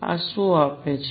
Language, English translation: Gujarati, What does these give